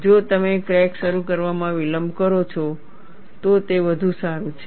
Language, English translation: Gujarati, If you delay the crack initiation, it is all the more better